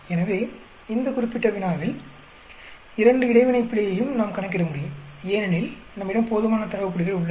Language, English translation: Tamil, So, in this particular problem, we can we can calculate both interaction error, because we have enough data points